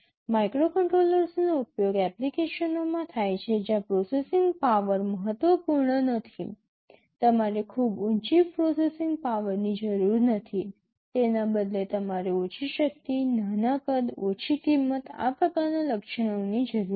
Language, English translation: Gujarati, Microcontrollers are used in applications where processing power is not critical, you do not need very high processing power rather you need low power, small size, low cost, these kinds of attributes